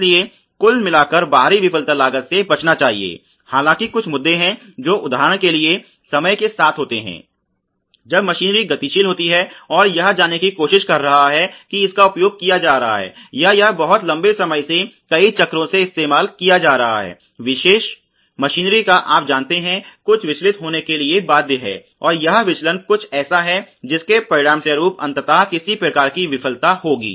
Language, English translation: Hindi, So, therefore, external failure costs by and large should be avoided; although there are certain issues which would happen with time for example, when there is dynamic machinery and it is trying to you know be used or it is being used for very long time for many cycles there is bound to be some deviation in the you know particular machinery, and this deviation is something which eventually will result in some kind of failure